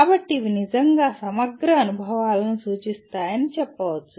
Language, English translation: Telugu, So one can say these represent a truly integrated experiences